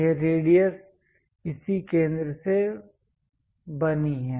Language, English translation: Hindi, This radius is made from this center